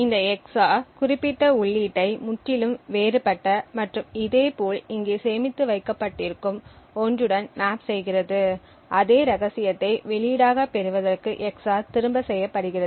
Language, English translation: Tamil, So, this EX OR would then map specific input to something which is totally different and similarly anything which is stored over here that same secret is EX OR back to obtain the corresponding output